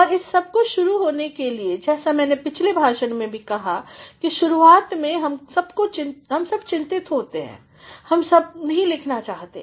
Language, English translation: Hindi, And, for all this you have to begin as I said in the previous lecture, that initially all of us get very anxious, all of us do not want to write